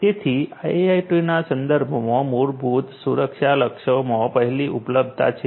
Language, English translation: Gujarati, So, the basic security goals with respect to IIoT are number one availability